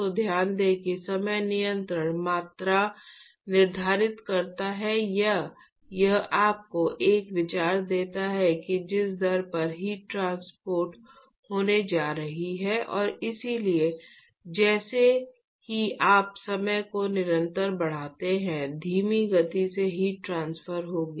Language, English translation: Hindi, So, note that time constant quantifies or it tells you, gives you an idea as to rate at which the heat is going to be transferred and so, as you increase the time constant the slower will be the heat transport